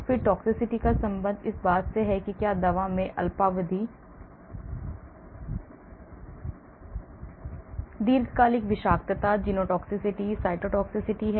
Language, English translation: Hindi, then toxicity; toxicity is related to whether the drug has short term, long term toxicity, genotoxicity, cytotoxicity and so on